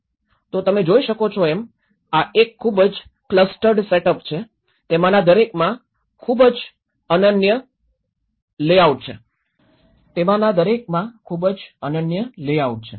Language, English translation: Gujarati, So, you can see this is a very clustered setup; each of them has a very unique layout